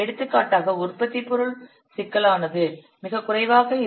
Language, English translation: Tamil, For example, if the product complexity is very low, you may assign 0